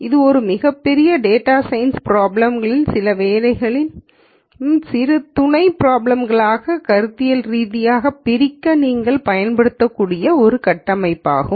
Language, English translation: Tamil, This is a framework that you can use to conceptually break down a large data science problems into smaller sub problems in some work ow fashion